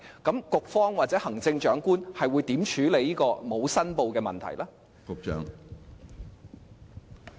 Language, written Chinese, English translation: Cantonese, 局方或行政長官會如何處理這個不實申報的問題？, How will the bureau or the Chief Executive deal with this untruthful declaration issue?